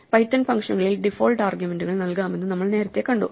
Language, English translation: Malayalam, Now we have seen earlier that in python functions, we can provide default arguments which make sometimes the argument optional